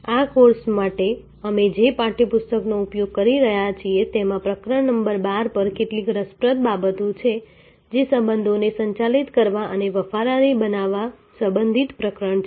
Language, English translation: Gujarati, In the text book that we are using for this course there are some interesting insides at chapter number 12, which is the chapter relating to managing relationship and building loyalty